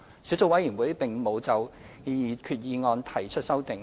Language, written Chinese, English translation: Cantonese, 小組委員會並無就擬議決議案提出修訂。, The Subcommittee has not proposed any amendments to the proposed resolution